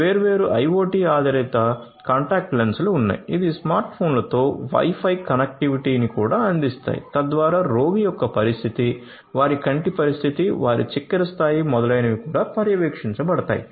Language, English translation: Telugu, There are different IoT based contact lenses which are which also offer Wi Fi connectivity with smart phones so that the condition of the patient their you know, their high condition, their sugar level etcetera etcetera could be also monitored